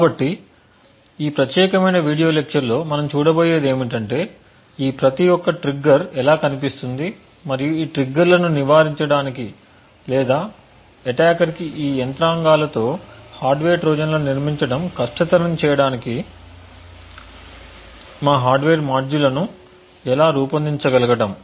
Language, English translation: Telugu, So, what we will see in this particular video lecture is how each of these triggers will look and how we can design our hardware modules so as to prevent these triggers or make it difficult for an attacker to build hardware Trojans with this mechanisms